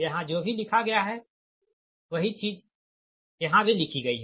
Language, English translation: Hindi, whatever is written here, same thing is written here